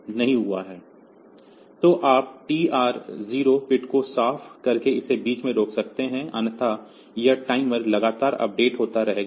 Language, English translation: Hindi, So, you can stop it in between by clearing the TR 0 bit, or otherwise this timer will continually update